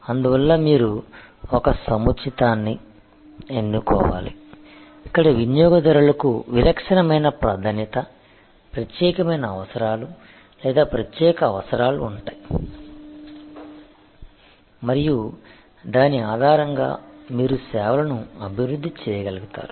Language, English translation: Telugu, And so you have to choose a niche, where customers have a distinctive preference, unique needs or special requirements and based on that you will be able to develop services